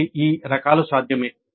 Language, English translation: Telugu, Both are possible